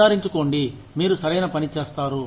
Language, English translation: Telugu, Make sure, you do the right thing